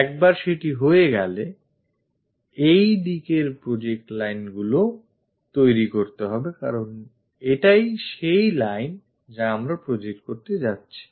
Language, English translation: Bengali, Once that is done, project lines in this direction to construct because this is the line what we are going to project it